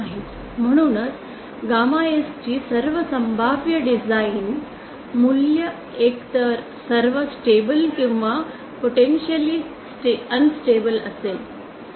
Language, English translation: Marathi, Hence, all possible design value all possible value of gamma S will be either all stable or potentially unstable